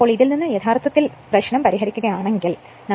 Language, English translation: Malayalam, So, from which if you solve, you will get V is equal to 350